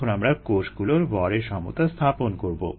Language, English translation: Bengali, now let us do a mass balance on cells over the same system